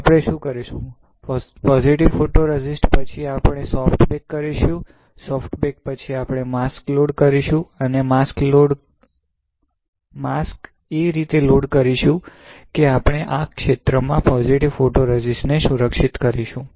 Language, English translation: Gujarati, So, what we will do, we will after positive photoresist, we will perform soft bake; after soft bake, we will load the mask and load mask such that, we will protect the positive photoresist in this area